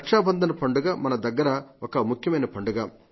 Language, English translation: Telugu, The festival of Raksha Bandhan is a festival of special significance